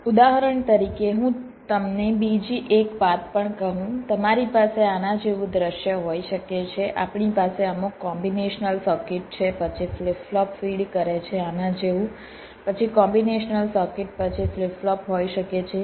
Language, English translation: Gujarati, you can have a scenario like this: we have some combinations circuit, then a flip pop, feeding like this, then a combination circuit, then a flip pop may be